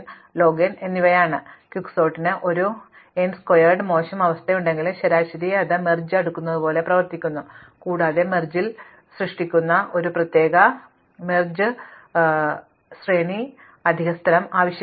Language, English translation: Malayalam, So, though Quicksort has an O n squared worst case, on the average it behaves like merge sort and without some of the pit falls of merge sort, it particular it does not requires the extra space in order to create a merge array